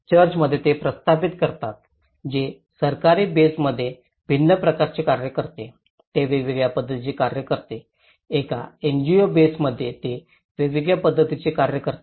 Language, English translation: Marathi, In church, they set up it acts differently in a government base set up it act differently, in a NGO base set up it acts differently